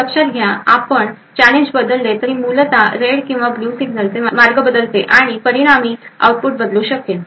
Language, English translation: Marathi, So note that if we change the challenge, it essentially changes the path for the red and blue signals and as a result output may change